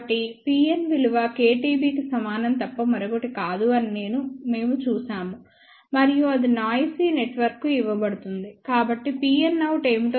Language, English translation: Telugu, So, we had seen that P n is nothing but equal to k T B and that is given to the noisy network, so let us see what will be P n out